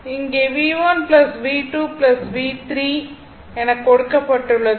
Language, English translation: Tamil, So, this is V 3 this is V 3 right